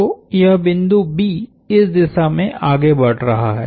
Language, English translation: Hindi, So, that is this point B is moving in this direction